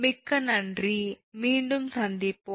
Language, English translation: Tamil, thank you very much, we will be back